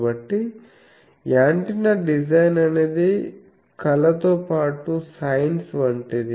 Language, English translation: Telugu, So, antenna design is something like arts as well as science